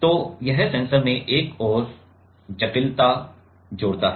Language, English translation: Hindi, So, that adds one more complexity in the sensor